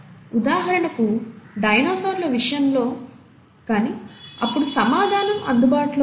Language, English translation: Telugu, For example, for dinosaurs, and answer was not available then